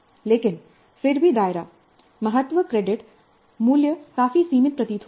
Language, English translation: Hindi, But still the scope, importance and create value seem to be fairly limited